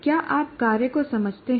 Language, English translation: Hindi, Do you understand the task